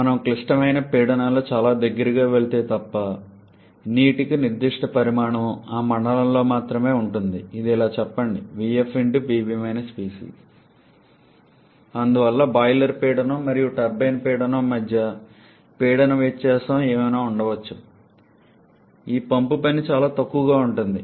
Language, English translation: Telugu, Unless we are going to something very close to the critical pressure specific volume for liquid water will remain in that zone only I should say right V f and therefore this pump work Therefore, whatever may be the pressure difference between the boiler pressure and turbine pressure this pump work remains extremely small